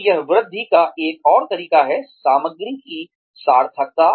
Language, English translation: Hindi, So, that is another way of increasing, the meaningfulness of the material